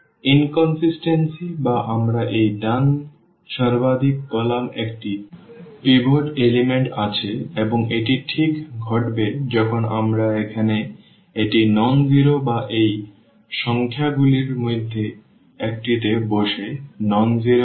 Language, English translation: Bengali, So, inconsistent or we call this rightmost column has a pivot element and this will exactly happen when we have this here nonzero or sitting in one of one of these number is nonzero